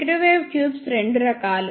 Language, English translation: Telugu, Microwave tubes are of two types